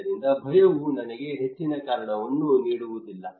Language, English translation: Kannada, So fear would not give me much reason